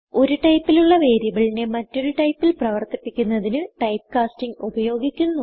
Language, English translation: Malayalam, Typecasting is a used to make a variable of one type, act like another type